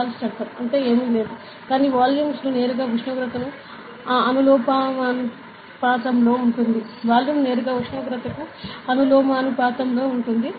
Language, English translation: Telugu, So, Charles law is nothing, but volume is directly proportional to the temperature ok, volume is directly proportional to the temperature